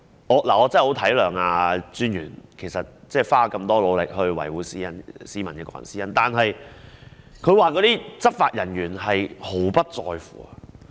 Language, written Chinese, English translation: Cantonese, 我真的十分體諒專員花了這麼大的努力，維護市民的個人私隱，但執法人員卻毫不在乎。, I truly appreciate that the Commissioner has made such great efforts to safeguard the personal privacy of citizens but officers of law enforcement agencies could not care less